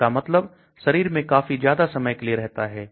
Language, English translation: Hindi, That means it last inside the body for a very long time